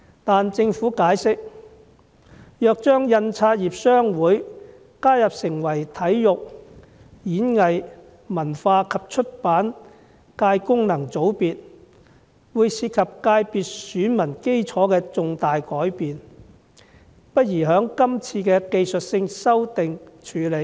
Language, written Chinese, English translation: Cantonese, 據政府解釋，如將香港印刷業商會加入成為體育、演藝、文化及出版界功能界別的選民，會導致界別選民基礎有重大改變，因此不宜在這次的技術性修訂處理。, According to the Governments explanation if the Association is included as an elector in the Sports Performing Arts Culture and Publication FC it will involve a significant change in the constituencys electorate thus it is inadvisable to deal with this problem in the current exercise of making technical amendments